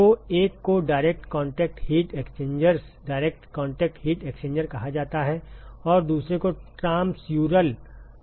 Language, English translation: Hindi, So, one is called the direct contact heat exchangers direct contact heat exchanger and the other one is what is called as the transmural